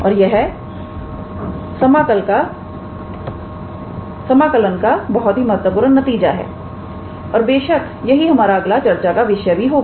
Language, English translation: Hindi, And this is a very vital result in integral calculus and of course, it is also our next topic in agenda